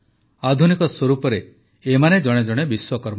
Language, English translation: Odia, In modern form, all of them are also Vishwakarma